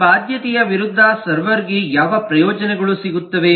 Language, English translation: Kannada, against this obligation, what benefits does the server get